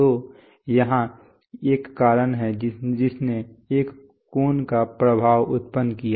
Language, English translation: Hindi, So here is a cause which produced an effect of an angle